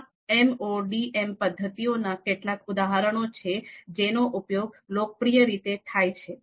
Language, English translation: Gujarati, So these are some of the examples of MODM methods that are popularly used